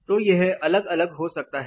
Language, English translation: Hindi, So, that can be varied